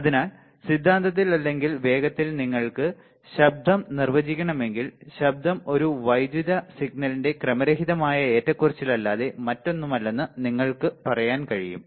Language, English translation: Malayalam, So, in theory or quickly if you want to define noise, then you can say that noise is nothing but a random fluctuation in an electrical signal all right